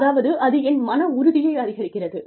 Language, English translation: Tamil, I mean, that boost my morale